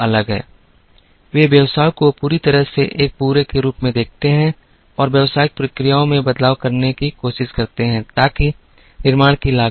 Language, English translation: Hindi, They look at the business entirely as a whole and try to make changes in the business processes so that the cost of manufacture comes down